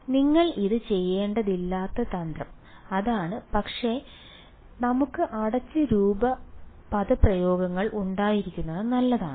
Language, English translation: Malayalam, So, that is the trick you do not have to do it, but we it is good to have closed form expressions